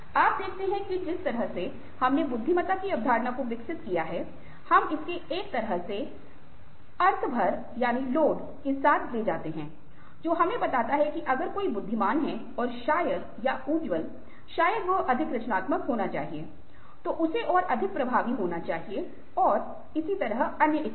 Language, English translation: Hindi, so you see that, ah, the way we developed ah the concept of intelligence, ah, we carry it with it, a kind of a meaning load which tells us that if somebody is intelligent, then probably, ah, or bright, probably he should be more creative, he should be more effective, and so on and so forth